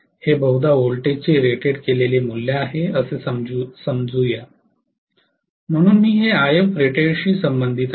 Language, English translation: Marathi, Let us say this is the rated value of voltage probably, so I am going to say that this corresponds to IF rated right